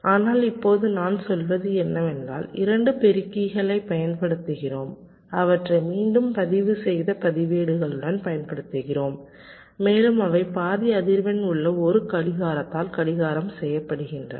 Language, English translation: Tamil, but now what i am saying is that we use two multipliers with, again, registers separating them and their clocked by by a clocked was frequency is half